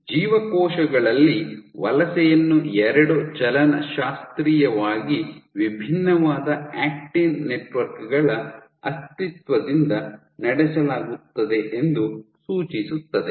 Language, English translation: Kannada, So, suggesting that in cells migration is driven by the existence of two kinetically and kinematically distinct acting networks